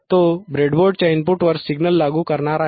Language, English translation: Marathi, He is going to apply to the input of the breadboard